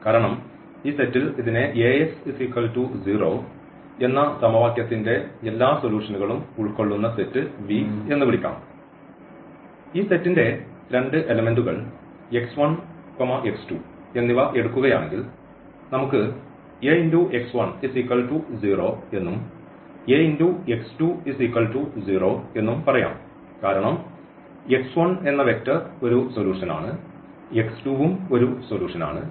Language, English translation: Malayalam, Because in this set; so, let us call this as the set V which contains all the solutions of this equation Ax is equal to 0, then if we take any two elements of this set let us say x 1 and also we take x 2 from this set; that means, this Ax 1 is 0 and Ax 2 is also 0 because the x 1 this vector is also a solution and x 2 is also solution